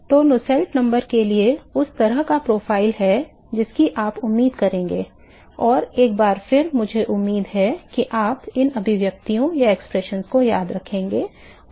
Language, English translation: Hindi, So, that is the kind of profile for Nusselt number that you would expect and once again I do not expect you to remember these expressions and